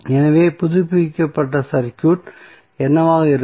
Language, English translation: Tamil, So, what would be the updated circuit